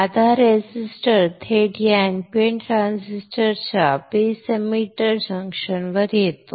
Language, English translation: Marathi, Now this resistance coming directly across the base emitter junction of this NPN transistor